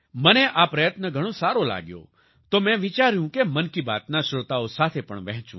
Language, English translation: Gujarati, I liked this effort very much, so I thought, I'd share it with the listeners of 'Mann Ki Baat'